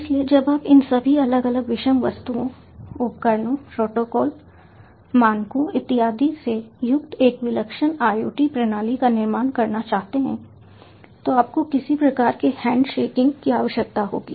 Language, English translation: Hindi, so when you want to build a singular iot system comprising of all these different, heterogeneous objects, devices, protocols, standards, etcetera, you need to have some kind of handshaking